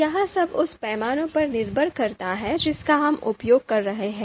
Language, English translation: Hindi, So that all depends on the you know kind of scales that we are using